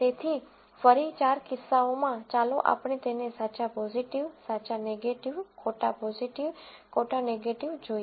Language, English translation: Gujarati, So, in the four cases again, let us look at it true positive, true negative, false positive, false negative